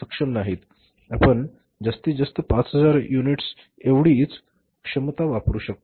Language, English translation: Marathi, We can use this capacity maximum up to 5,000 units